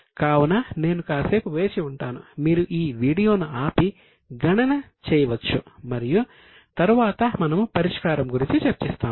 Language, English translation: Telugu, So, I will wait for a moment, you can stop this video, do the calculation and then we to discuss the solution